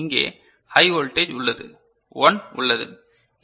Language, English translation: Tamil, And here, there is a high voltage, 1 is present